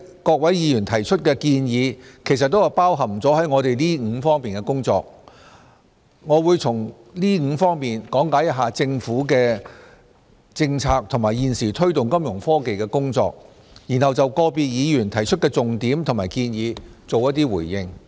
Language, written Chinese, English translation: Cantonese, 各位議員提出的建議都包含在我們這5方面的工作當中。我會先從這5方面講解一下政府的政策及現時推動金融科技的工作，然後就個別議員提出的重點和建議作出回應。, Given that all of the Members suggestions fall within these five areas I will first speak on our Fintech policies and current efforts in each of these areas before responding to the major arguments and suggestions of individual Members